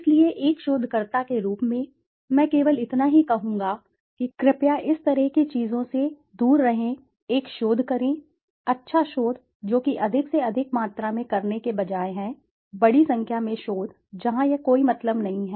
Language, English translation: Hindi, So well, as a researcher I would only say kindly keep away from such things, do one research, good research, that is more than enough, instead of doing large number of quantity wise, large number of researches where it makes no sense